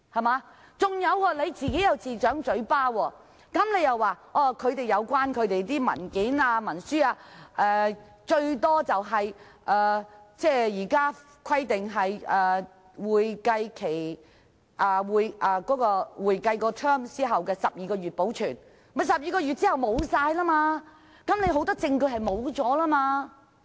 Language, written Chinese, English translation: Cantonese, 還有，他又自摑嘴巴，說按照現行規定，有關文件或文書紀錄須保留不少於會計年度完結後12個月，即12個月後很多證據也會消失。, Besides he contradicted himself in saying that employment agencies have to retain relevant documents or records for a period of not less than 12 months after the expiry of each accounting year under the existing provision which means much evidence will disappear after 12 months